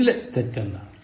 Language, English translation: Malayalam, Identify what is wrong in this